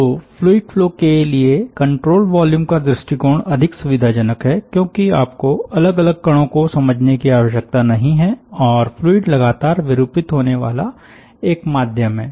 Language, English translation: Hindi, so control volume approach is more convenient for fluid flow because you dont have to track individual particles and fluid is the continuously deforming medium, so it is very difficult to track individual particles